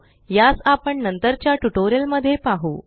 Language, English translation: Marathi, We will see this in detail in later tutorials